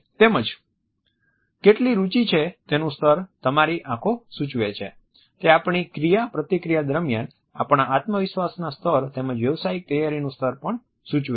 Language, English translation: Gujarati, Eyes indicate the level of our interest; they also indicate the level of our confidence as well as the level of professional preparation during our interaction